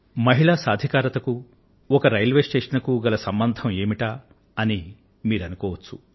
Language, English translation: Telugu, You must be wondering what a railway station has got to do with women empowerment